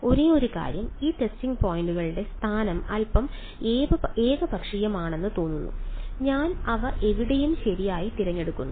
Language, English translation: Malayalam, Only thing is that the location of these testing points seems a little arbitrary right, I just pick them anywhere right